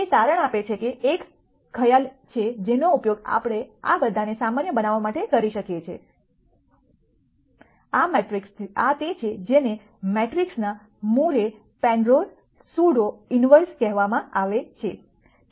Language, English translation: Gujarati, It turns out that there is a concept that we can use to generalize all of these, this is what is called the Moore Penrose pseudo inverse of a matrix